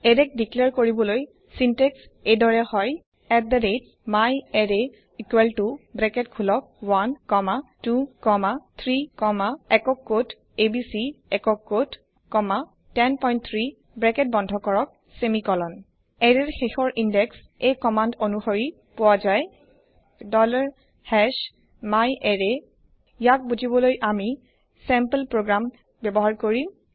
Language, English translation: Assamese, The syntax for declaring an array is @myArray equal to open bracket 1 comma 2 comma 3 comma single quote abc single quote comma 10.3 close bracket semicolon The last index of an array can be found with this command $#myArray Let us understand this using sample program